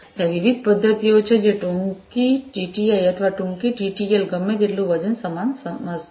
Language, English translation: Gujarati, And so, the different methods are there so, shorter TTI's or shorter TTL so, whatever weight you know it is the same thing